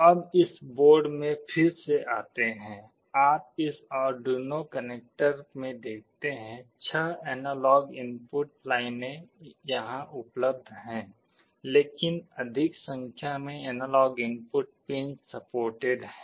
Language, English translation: Hindi, Now, coming back to this board again, you see in this Arduino connector, the six analog input lines are available here, but more number of analog input pins are supported